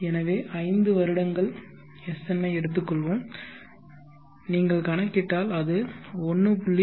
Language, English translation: Tamil, So let us take SN 5 years and if you calculate you will see that it is 1